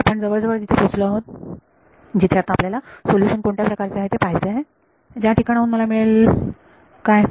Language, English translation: Marathi, So, we are almost there we want to now look at what is the kind of solution that I get from here what